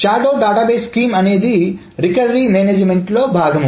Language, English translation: Telugu, So the shadow database scheme is a recovery management scheme